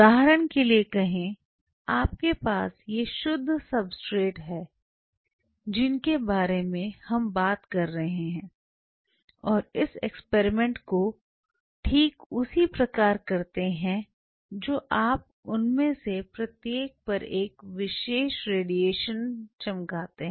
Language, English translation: Hindi, Say for example, you have a, so these are pure substrates what you are talking about and exactly do the same experiment you shine each one of them with particular radiation